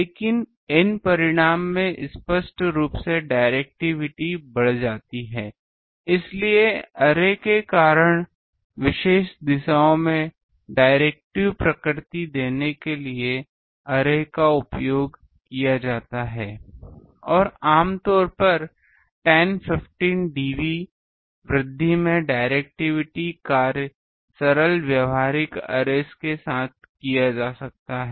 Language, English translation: Hindi, But the N result is obviously directivity increases much because, of array that is why arrays are used to give directive nature in particular directions and typically 10, 15 dB increase in the directivity function can be done with a that is simple practical arrays